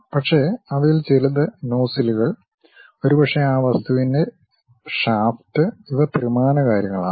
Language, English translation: Malayalam, But, some of them like nozzles and perhaps the shaft of that object these are three dimensional things